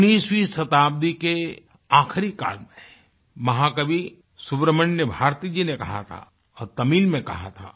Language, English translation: Hindi, Towards the end of the 19th century, Mahakavi Great Poet Subramanya Bharati had said, and he had said in Tamil